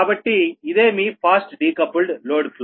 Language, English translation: Telugu, next is that fast decoupled load flow